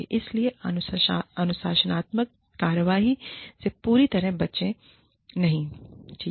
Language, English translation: Hindi, So, do not avoid the disciplinary action, completely